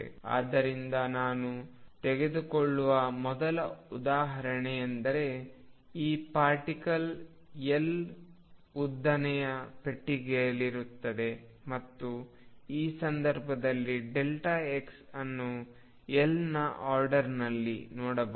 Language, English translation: Kannada, So, first example I take is this particle in a box of length L and you can see in this case delta x is of the order of L